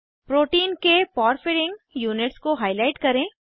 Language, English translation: Hindi, * Highlight the porphyrin units of the protein